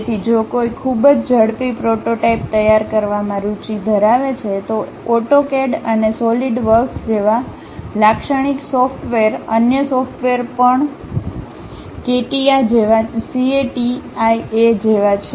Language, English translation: Gujarati, So, if one is interested in preparing very quick prototype, the typical softwares like AutoCAD and SolidWorks; there are other softwares also like CATIA